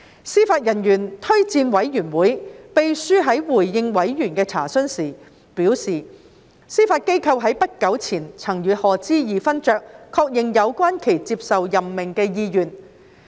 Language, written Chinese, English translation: Cantonese, 司法人員推薦委員會秘書在回應委員的查詢時表示，司法機構在不久前曾與賀知義勳爵確認有關其接受任命的意願。, In response to members enquiries the Secretary to the Judicial Officers Recommendation Commission JORC has advised that the Judiciary confirmed with Lord HODGE his intention to accept the appointment quite recently